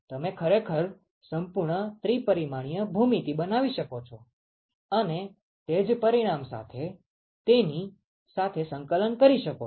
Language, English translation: Gujarati, You can actually construct a whole three dimensional geometry and integrate with it exactly the same result